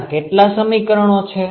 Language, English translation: Gujarati, How many equations are there